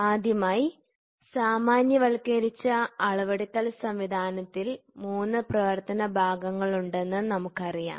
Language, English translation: Malayalam, First we know that the generalised measuring system consist of three functional parts